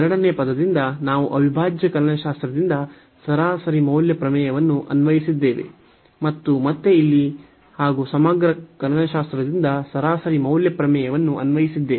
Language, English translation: Kannada, From the second term, we have applied the mean value theorem from integral calculus and again here as well the mean value theorem from integral calculus